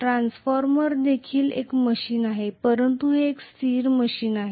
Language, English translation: Marathi, Transformer is also very much a machine but it is a static machine